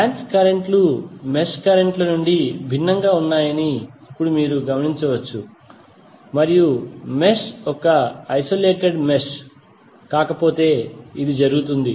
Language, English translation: Telugu, Now you can notice that the branch currents are different from the mesh currents and this will be the case unless mesh is an isolated mesh